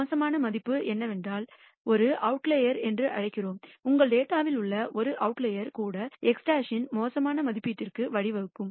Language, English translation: Tamil, The bad value is what we call an outlier and even a single outlier in your data can give rise to a bad estimate of x bar